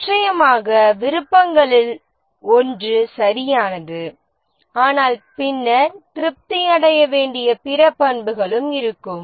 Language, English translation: Tamil, Of course, one of the will be correctness, but then there will be other attributes that need to be satisfied